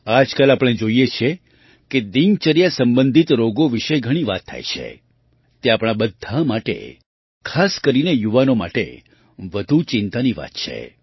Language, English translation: Gujarati, Nowadays we see how much talk there is about Lifestyle related Diseases, it is a matter of great concern for all of us, especially the youth